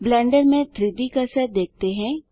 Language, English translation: Hindi, Let us see the 3D cursor in Blender